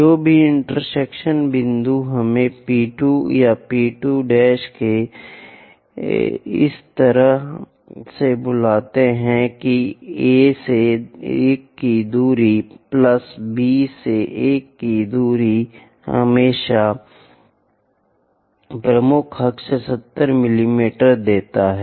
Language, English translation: Hindi, Whatever the intersection point let us call P 2, P 2 dash or P 2 prime in such a way that A to 1 distance plus B to 1 distance always gives us major axis 70 mm